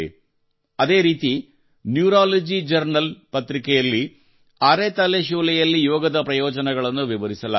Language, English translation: Kannada, Similarly, in a Paper of Neurology Journal, in Migraine, the benefits of yoga have been explained